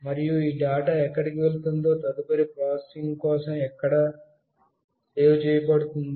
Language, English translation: Telugu, And where this data will go, the data will be saved somewhere for further processing